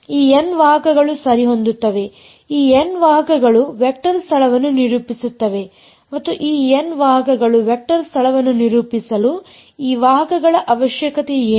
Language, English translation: Kannada, This N vectors alright these N vectors will characterize a vector space and for these n vectors to characterize the vector space what is the requirement on these vectors